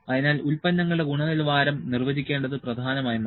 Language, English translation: Malayalam, So, it became important to better define the quality of the products